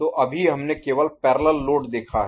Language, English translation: Hindi, So, right now we have seen parallel load only